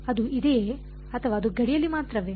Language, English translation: Kannada, Is it there or it is only on the boundary